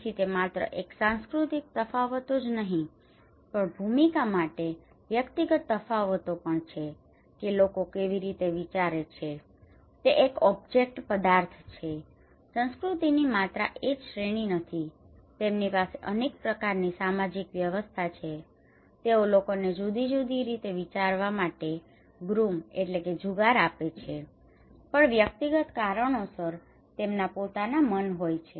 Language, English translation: Gujarati, So it is not only cultural differences but also individual personal differences for a role that how people think it was one object differently not only one category of culture not only one kind of social system they have, they groom people to think in particular way but also individual because of several other reasons they have their own mind